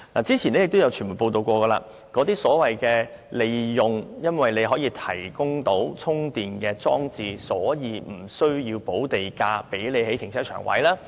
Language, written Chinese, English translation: Cantonese, 早前已有傳媒報道，有發展商利用提供充電裝置的停車位而無須補地價興建停車場。, As reported by the media earlier some developers who provide parking spaces with charging facilities in the car parks they build are granted land premium exemption for the car parks